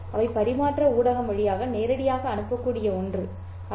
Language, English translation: Tamil, They are not something that can be transmitted directly over the transmission medium